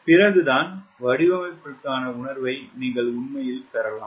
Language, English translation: Tamil, then only you can really get a feel for design